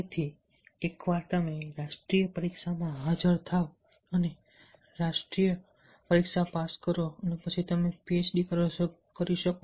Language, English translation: Gujarati, so once you to appear the national test and clear the national test, then you will able to do the phd